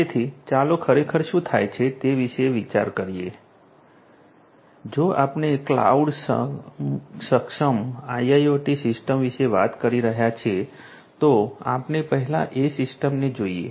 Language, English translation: Gujarati, So, let us think about what actually happens if we are talking about some cloud enabled IIoT system cloud enabled right so let us look at the cloud enabled IIoT system